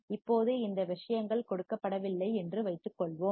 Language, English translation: Tamil, Now, suppose these things are not given